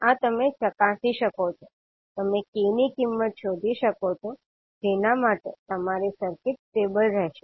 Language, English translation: Gujarati, So this you can verify, you can find out the value of k for which your circuit will be stable